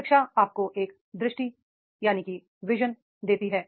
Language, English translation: Hindi, Education is give you a vision